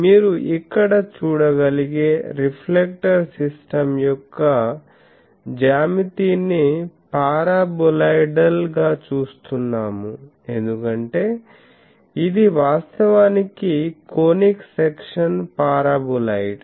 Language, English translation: Telugu, The geometry of the reflector system you can see here we are seeing it as a paraboloidal, because this is actually the conic section paraboloid which is obtained by revolving this paraboloid about this axis